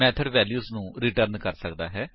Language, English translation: Punjabi, A method can return a value